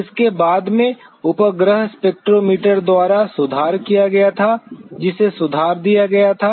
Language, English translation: Hindi, It was followed later on by the satellite spectrometers which were improved